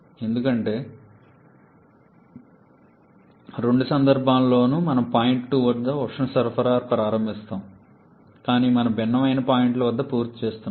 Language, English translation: Telugu, Because in both cases we are starting in addition at point 2 but we are finishing at different points the second cycle finishing at a higher temperature